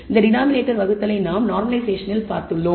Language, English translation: Tamil, We can look at this division by the denominator as what is called normalisation